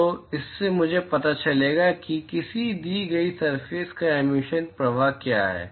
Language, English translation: Hindi, So, from that I will know what is the emission flux from a given surface